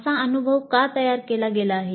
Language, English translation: Marathi, So why the experience has been framed that way